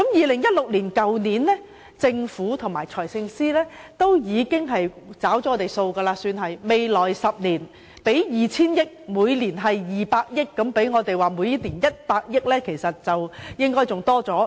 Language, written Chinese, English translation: Cantonese, 去年，政府和財政司司長在醫療方面已算是"找了數"，表示會在未來10年撥出 2,000 億元，即每年200億元，這比起我們要求的每年100億元還要多。, It would be fair to say that the Government and the Financial Secretary have already honoured their promises last year as far as public health care is concerned since 200 billion have been set aside for a 10 - year development plan meaning that the sum to be allocated every year would be 20 billion which is even more than what we have been asking for that is an extra funding of 10 billion each year